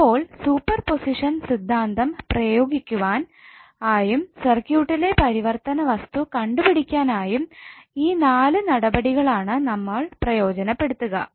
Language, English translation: Malayalam, So these 4 steps are utilize to apply the super position theorem and finding out the circuit variables